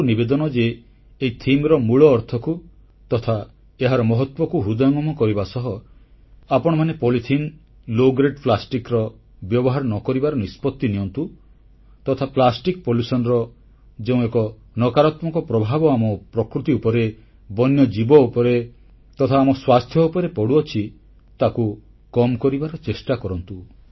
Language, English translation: Odia, I appeal to all of you, that while trying to understand the importance of this theme, we should all ensure that we do not use low grade polythene and low grade plastics and try to curb the negative impact of plastic pollution on our environment, on our wild life and our health